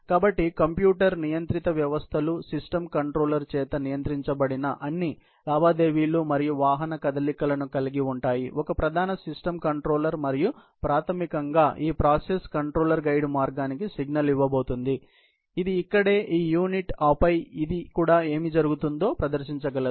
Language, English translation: Telugu, So, computer controlled systems happen to have all transactions and vehicle movements as controlled by system controller; a main system controller and basically, the idea is that this process controller is going to be giving signal to the guide path, which is this unit right here, and then, it also is able to display whatever is going on